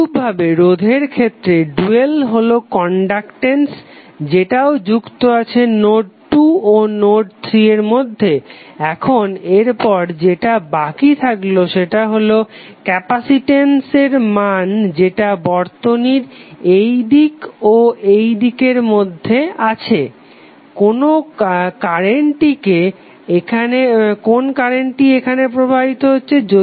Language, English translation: Bengali, Similarly for resistance dual that is conductance will also be connected between node 2 and node 3, now next what we have left with is the capacitance value that is between this side to this side of the circuit, which current is flowing here